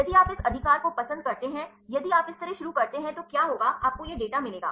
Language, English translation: Hindi, If you do like this right, if you start like this what will happen you get this data